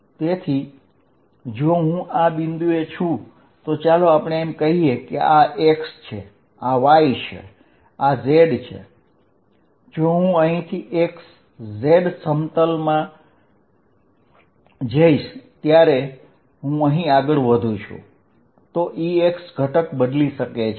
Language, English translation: Gujarati, So, if I am at this point let us say this is x, this is y, this is z if I go from here in the x z plane, the E x component may changes as I move here